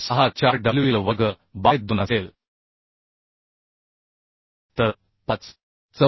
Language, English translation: Marathi, 64 wl square by 2 so 5